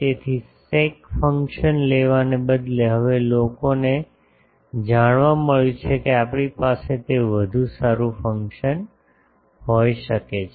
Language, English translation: Gujarati, So, in instead of taking sec function, now people have found out that we can have a better function that